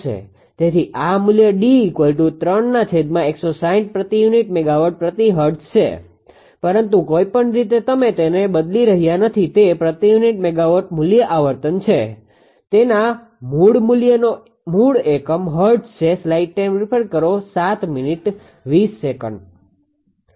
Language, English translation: Gujarati, So, this is the value d is equal to 3 upon 160 per unit megawatt per hertz, but frequency anyway you are not changing to its per unit value frequencies its original value original unit that is hertz right